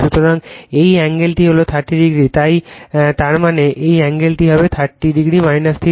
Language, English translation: Bengali, So, this angle is 30 degree so; that means, this angle will be 30 degree minus theta